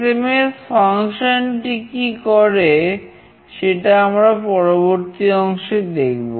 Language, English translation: Bengali, What does send SMS function do we will see in the next part